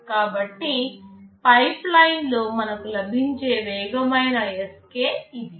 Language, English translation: Telugu, So, in a pipeline the speedup Sk we are getting is this